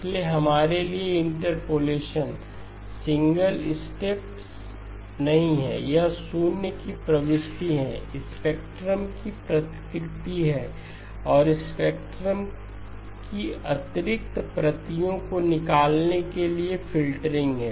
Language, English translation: Hindi, So interpolation for us is not a single step it is the insertion of zeros, replication of spectrum, then filtering to remove the additional copies of the spectrum